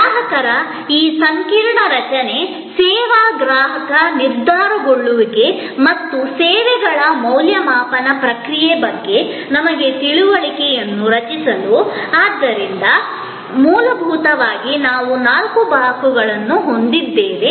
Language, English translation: Kannada, To create our understanding of this whole structure of consumer, service consumer decision making and the process of evaluation of services, so fundamentally we have four blocks